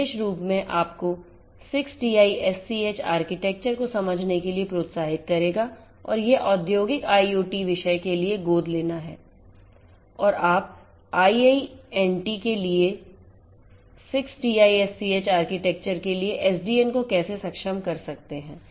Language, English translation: Hindi, This particular literature I would encourage you to go through in order to understand the 60’s architecture and it is adoption for industrial IoT scenarios and how you could have the SDN enabled for the 6TiSCH architecture for a IIoT